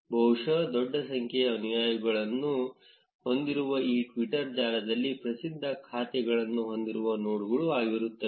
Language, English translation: Kannada, These are probably the nodes which have large number of followers and which has celebrity accounts in the twitter network